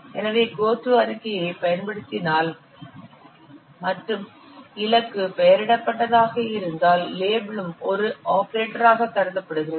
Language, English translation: Tamil, So if you are using a go to statement and the target is a label, then also level is considered as an operator